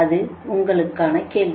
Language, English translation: Tamil, this a question to you